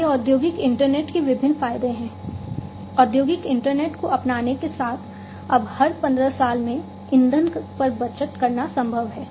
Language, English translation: Hindi, So, these are the different advantages of the industrial internet, with the adoption of industrial internet, it is now possible to save on fuel in, you know, every 15 years